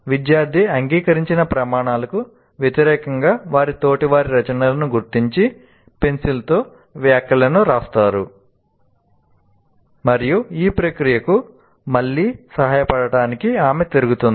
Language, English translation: Telugu, Student marks mark their peers work against the criteria agreed, writing comments in pencil, and she circulates to help this process again